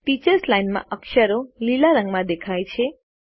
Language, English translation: Gujarati, The characters in the Teachers Line have changed to green